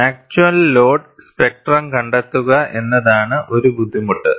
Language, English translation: Malayalam, And one of the difficulties is, finding out the actual loads spectrum; it is not simple